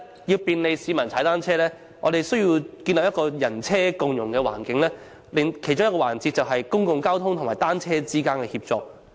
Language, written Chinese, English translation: Cantonese, 要利便市民踏單車，本港必須建立一個"人車共融"的環境，其中一個環節就是公共交通與單車之間的協作。, To make cycling convenient for the public we must create an inclusive environment for road users and bicycles and one of the keys is to rationalize the synergy between public transport and bicycles